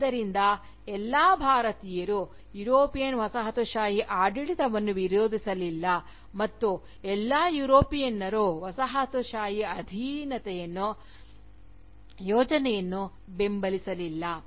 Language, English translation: Kannada, So, not all Indians for instance, opposed the European Colonial rule, and nor did all Europeans, support the project of Colonial subjugation